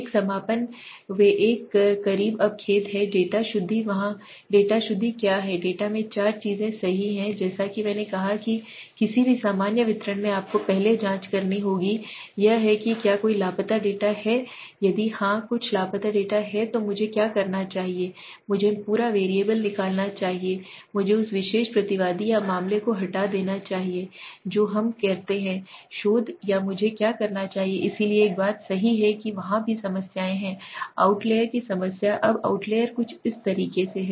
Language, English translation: Hindi, The closing one they are the closer one sorry now data purification what is data purification there are four things in data right so as I said in any normal distribution you have to check for the first is to whether there is any missing data if yes there is some missing data then what do I do should I remove the complete variable should I remove that particular respondent or case what we say in research or what should I do right, so one thing is there right there are also a problems there is a problem of outliers now outliers are something like